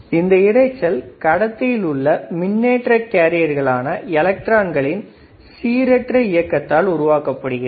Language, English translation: Tamil, So, this noise is generated by random thermal motion of charge carriers usually electrons inside an electrical conductor